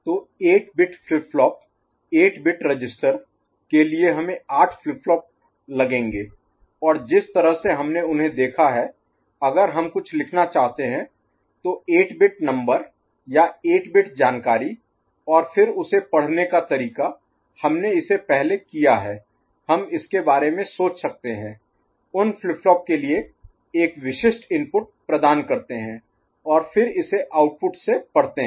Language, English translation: Hindi, So, for 8 bit flip flop, 8 bit register, we’ll be having 8 flip flops and the way we have seen them, if you want to write something that 8 bit number or 8 bit information and then read from it then the way we have done it before, we can think of you know, providing a specific inputs to those flip flops and then reading it from the output ok